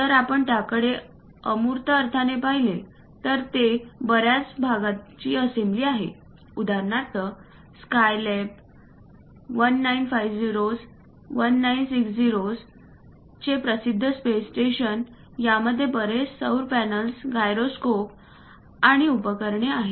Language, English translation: Marathi, If we are looking at that in abstract sense, it contains assembly of many parts for example, the SkyLab the 1950s, 1960s famous space station contains many solar panels, gyroscopes and instruments